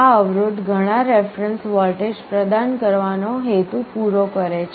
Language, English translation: Gujarati, These resistances serve the purpose of providing several reference voltages